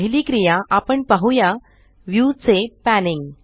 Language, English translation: Marathi, The first action we shall see is Panning a view